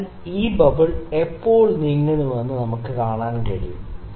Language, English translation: Malayalam, So, the we can just see when does this bubble moves